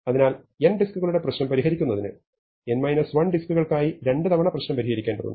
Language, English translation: Malayalam, So, in order to solve the problem for n disks we needed to solve the problem twice for n minus 1 disks